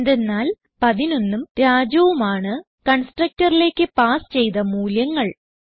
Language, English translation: Malayalam, Because we have passed the values 11 and Raju the constructor